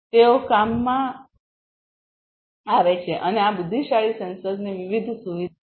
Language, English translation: Gujarati, They are in the works and these are the different features of these intelligent sensors